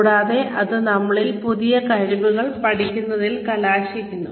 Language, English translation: Malayalam, And, that results in us, learning new skills